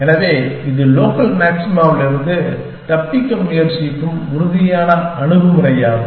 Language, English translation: Tamil, So, this was the deterministic approach to trying to escape local maxima